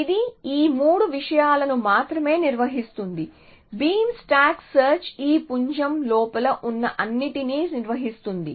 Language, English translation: Telugu, It maintains only these 3 things beam stack search maintains all this everything which is inside this beam